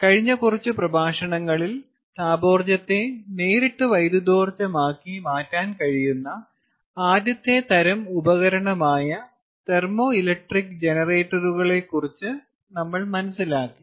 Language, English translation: Malayalam, if you recall, in the last few lectures we learnt about thermo electric generators as the first kind ah of device which enables us to convert thermal energy directly to electrical energy